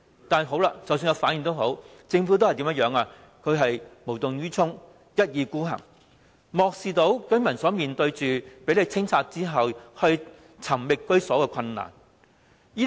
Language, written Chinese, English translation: Cantonese, 但即使他們有反應，政府仍然無動於衷，一意孤行，漠視居民房屋被清拆後，再找居所的困難。, But the Government remains indifferent to their reactions and insists on carrying out the plan ignoring the residents difficulties in finding a new home after their dwellings have been demolished